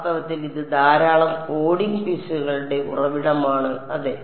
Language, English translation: Malayalam, In fact, that is a source of a lot of coding mistakes also yeah